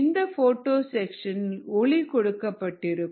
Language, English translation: Tamil, you know, this is the photo section lighted up